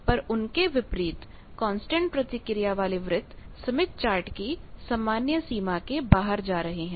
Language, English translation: Hindi, But, unlike in this constant reactance circles they are mostly going outside this standard smith chart